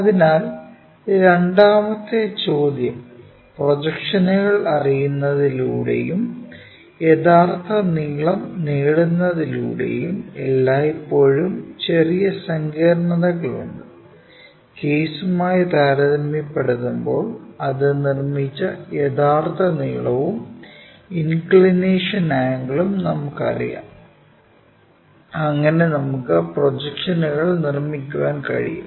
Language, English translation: Malayalam, So, the second question by knowing projections and constructing the true length is always be slight complication involved, compared to the case where we know the true length and inclination angles made by that so, that we can construct projections